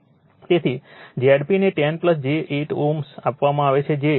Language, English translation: Gujarati, So, Z p is given 10 plus j 8 ohm that is 12